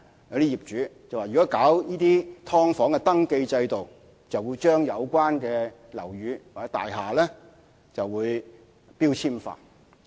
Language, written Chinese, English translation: Cantonese, 有些業主更說，如果推行"劏房"登記制度，就會將有關的樓宇或大廈標籤化。, Some landlords even said if the introduction of a registration system of subdivided units would have a labelling effect of the buildings concerned